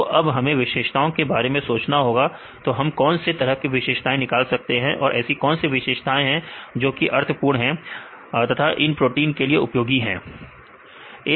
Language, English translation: Hindi, So, now, we need to think about the features; what the various features we can derive from the sequences and which features will be meaningful and applicable to this type of proteins right